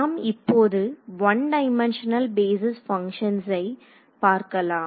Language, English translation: Tamil, So, now coming to one dimensional basis functions so, this is really easy part